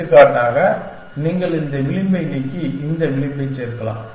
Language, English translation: Tamil, For example, so you could delete this edge and add this edge